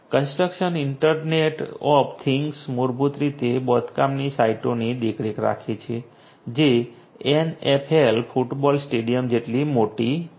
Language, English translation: Gujarati, The construction internet of things basically monitors the sites the construction sites which are very large as large as the NFL you know football stadium